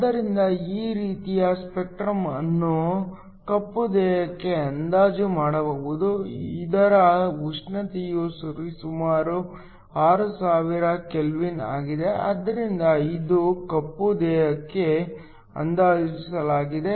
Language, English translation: Kannada, So, This sort of spectrum can be approximated to a black body, whose temperature is around 6000 kelvin, so it is approximated to a black body